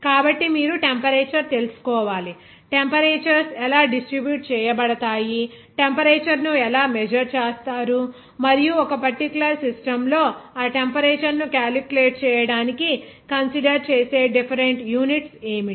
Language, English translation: Telugu, So that you have to know the temperature, how the temperatures will be distributed, even how the temperature will be measured, and also what are the different units that are considered to calculate that temperature in a particular system